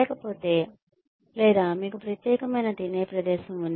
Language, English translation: Telugu, Otherwise or maybe, you have a separate eating place